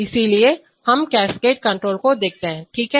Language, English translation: Hindi, So we look at cascade control, okay